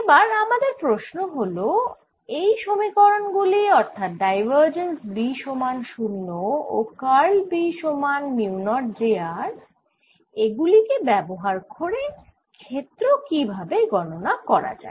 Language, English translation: Bengali, what we want to now ask is how do we use the equation that divergence of b is zero and curl of b is mu, not j